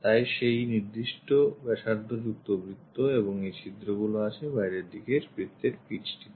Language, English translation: Bengali, So, with those respective radius make circle and these holes are located on one outer circle, the pitch